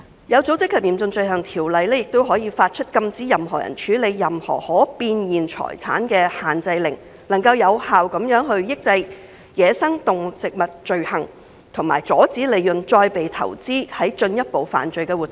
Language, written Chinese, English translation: Cantonese, 《有組織及嚴重罪行條例》亦可以發出禁止任何人處理任何可變現財產的限制令，有效地抑制走私野生動植物罪行，以及阻止利潤再被投資於進一步的犯罪活動。, Under OSCO the Courts may also issue restraint orders to prohibit any person from dealing with any realizable property effectively discouraging crimes involving wildlife trafficking and preventing reinvestment of profits into further criminal activities